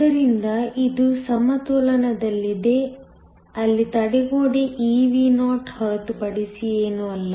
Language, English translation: Kannada, So, this is in equilibrium where the barrier is nothing but eVo